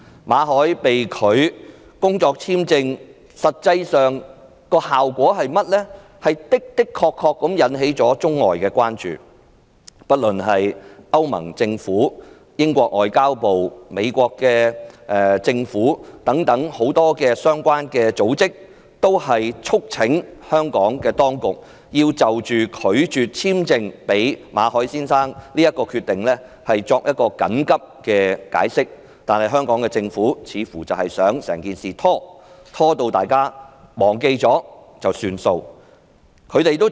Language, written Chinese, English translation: Cantonese, 馬凱工作簽證續期申請被拒，實際上的確引起了外國的關注，不論是歐盟政府、英國外交及聯邦事務部、美國政府等很多相關組織，均促請香港當局就拒絕簽證予馬凱先生的決定緊急作出解釋，但香港政府似乎想採取拖延政策，直至大家忘記整件事便由它不了了之。, The Governments refusal to renew Victor MALLETs work visa has truly aroused the concerns of many foreign countries . The European Union government the Foreign and Commonwealth Office of the United Kingdom and the Government of the United States etc demanded an urgent explanation from the Hong Kong Government for its refusal to renew Mr MALLETs work visa but the Hong Kong Government seemed to have adopted a stalling tactic hoping that the incident will gradually fade from peoples memories